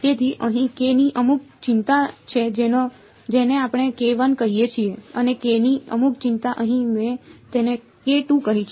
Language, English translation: Gujarati, So, there is some value of k over here we called it k 1 and some value of k over here I called it k 2